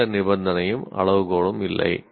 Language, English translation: Tamil, There is no condition, there is no criterion